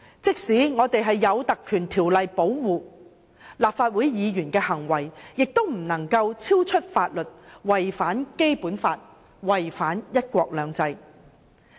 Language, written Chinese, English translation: Cantonese, 即使立法會議員受《立法會條例》保障，議員的行為亦不能超出法律的規定，違反《基本法》、違反"一國兩制"。, Although Members are protected by the Legislative Council Ordinance their behaviour must not go beyond the law in violation of the Basic Law and one country two systems